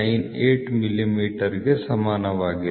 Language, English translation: Kannada, 7298 millimeter approximately